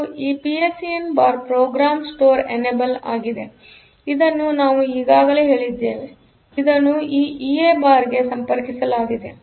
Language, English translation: Kannada, And this PSEN bar is the program store enable, so again this we have already said, this connected to this OE bar